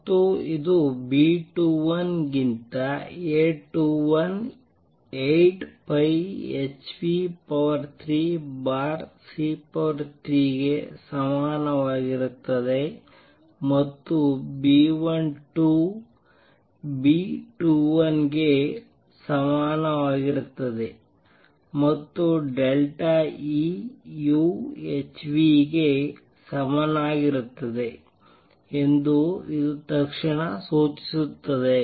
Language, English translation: Kannada, And this immediately implies that A 21 over B 2 1 is equal to 8 pi h nu cube over c cubed and B 12 equals B 21 and delta E u equals h nu